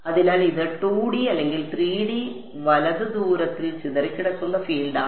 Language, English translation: Malayalam, So, this is scattered field far away either in 2 D or 3 D right